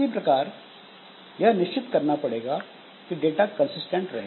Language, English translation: Hindi, So, we have to somehow ensure that the data is consistent